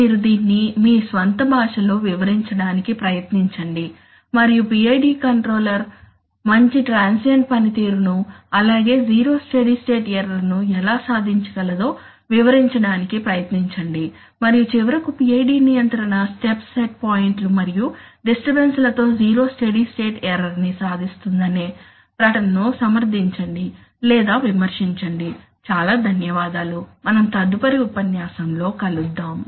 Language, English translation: Telugu, You try to explain it in your own language and explain how a PID controller can achieve good transient performance as well as zero steady state response and finally justify or contradict the statement that PID control achieves zero steady state error with step set points and disturbances, thank you very much, we will see in the next lecture